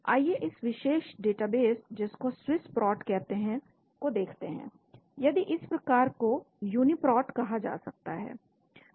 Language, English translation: Hindi, Let us look at this particular database called a Swiss prot , if this type is called Uniprot Uniprot